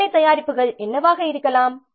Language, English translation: Tamil, What could be the work products